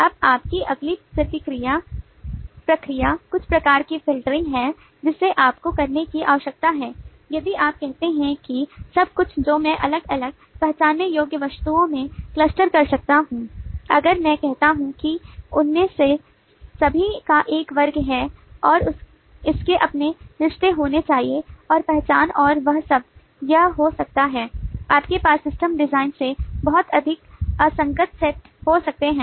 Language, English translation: Hindi, now your next process is some kind of a filtering that you need to do is if you say that everything that i could cluster into segregable, identifiable items, if i say that everyone of them has a class and it should have its own relationships and identification and all that it might become, you might have too much of incoherent set of system design